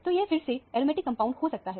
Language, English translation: Hindi, So, it could be again an aromatic compound